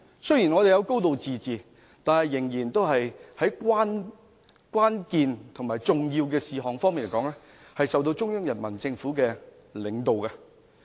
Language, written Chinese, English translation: Cantonese, 雖然香港有"高治自治"，但在關鍵和重要的事項上，仍由中央人民政府領導。, Despite enjoying a high degree of autonomy Hong Kong is still led by the Central Peoples Government when it comes to critical and important issues